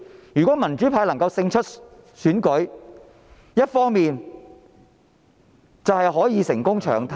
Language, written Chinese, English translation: Cantonese, 如果民主派能夠勝出選舉，一方面可以成功"搶灘"......, If the democrats could win the election on the one hand we could gain a foothold